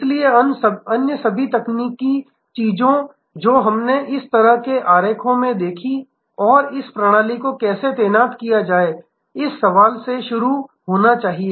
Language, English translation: Hindi, So, all the other technological things that we saw in this kind of diagram and how the system will deployed must start from this question